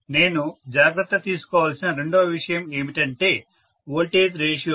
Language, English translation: Telugu, right Second thing that I had to take care of is voltage ratios